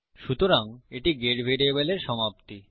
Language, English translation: Bengali, So,thats the end of the get variable